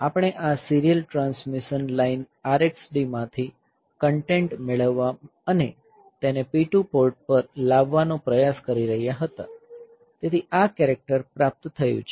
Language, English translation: Gujarati, We were trying to get the content from this serial transmission line R x D and to getting it on to port P 2, so this character has been received